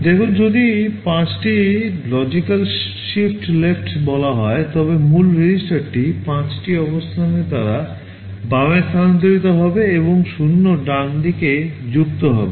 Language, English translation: Bengali, You see here if you say logical shift left 5, the original register will be shifted left by 5 positions and 0’s will be added on the right